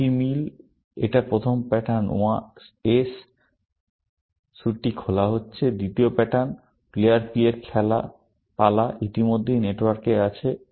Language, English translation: Bengali, The rest of the match, it is the first pattern; the suit being played is S; the second pattern, the turn of player P is already there, in the network